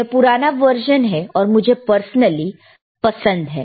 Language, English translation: Hindi, tThis is the older version and I use personally like